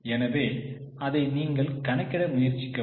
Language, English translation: Tamil, So, try to calculate it